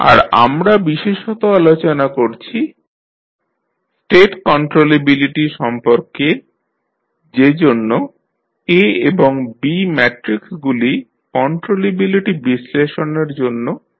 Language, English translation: Bengali, And we are particularly talking about the state controllability that is why A and B Matrices are being considered for the controllability analysis